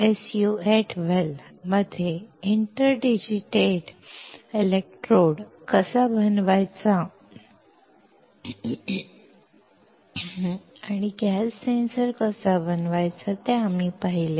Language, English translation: Marathi, We have seen how to fabricate an inter digitated electrode in an SU 8 well and how to fabricate a gas sensor